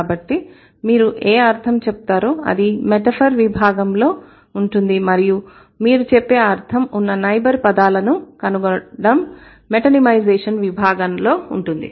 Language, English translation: Telugu, So, what you mean that's going to be in the metaphor category and finding out the neighboring words of what you mean is going to be in the metonymization category